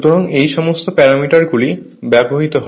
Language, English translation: Bengali, So, all these parameters are given